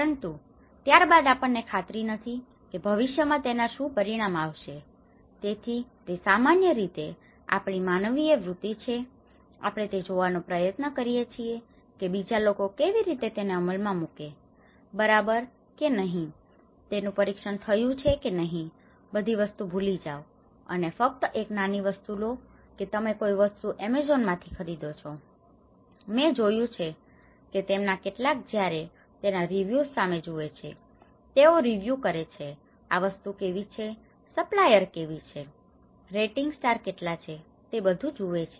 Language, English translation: Gujarati, But then we are not sure how it is going to have a future consequences so, normally it is our human tendency, we try to see that how others have implemented, are they okay, has it been tested, forget about everything, just take a small thing, you are buying some product in Amazon, many of them I have seen when they look at it they see the reviews, they reviews how this product is, they reviews how that supplier is, what is the star ratings